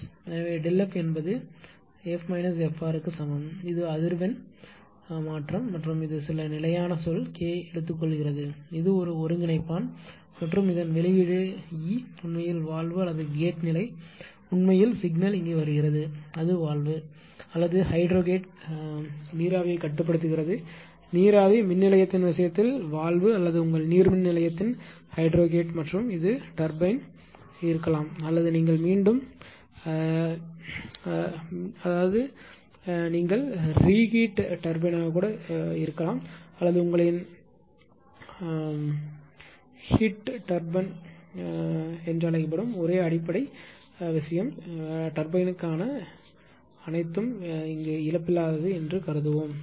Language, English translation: Tamil, So, delta F is equal to F minus F r; this is a change in frequency right and this is taking some constant say minus k, this is an integrator and output of this one that is delta e actually valve or gate position actually it is signal is coming here, it is controlling the valve or hydrogate ah steam valve in the case of steam power plant or hydrogate in in case of your hydropower plant and this is the turbine turbine maybe non reheat turbine or your what you call heat turbine only schematic basic thing will go for that for turbine right and we will assume it is lossless right